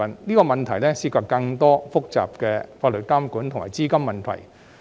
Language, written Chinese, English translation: Cantonese, 這個問題涉及更多複雜的法律監管及資金問題。, This involves even more complex issues concerning the regulatory regimes and capital